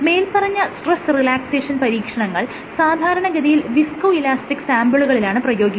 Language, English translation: Malayalam, So, these stress relaxation experiments are performed for viscoelastic samples